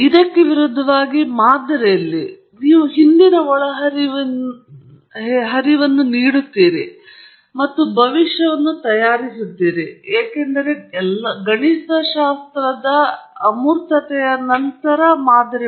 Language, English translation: Kannada, On the contrary, in the model, you do feed the past inputs and so on, and then make a prediction, because model is after all a mathematical abstraction